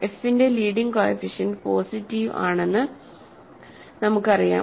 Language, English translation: Malayalam, So, leading coefficient of f is positive